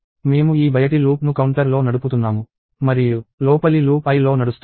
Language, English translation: Telugu, So, we are having this outermost loop running on counter and the innermost loop running on i